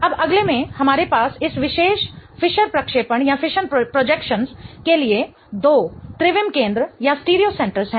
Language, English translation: Hindi, Now in the next one we have two stereo centers for this particular Fisher projection